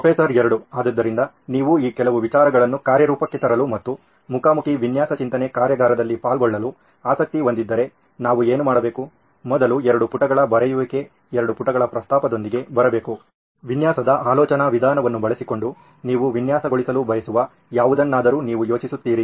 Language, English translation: Kannada, So if you are interested in trying to put some of these ideas into practice and attending a face to face design thinking workshop then what we should do is first come up with a 2 page write up, a 2 page proposal where you think of something that you would like to design using a design thinking approach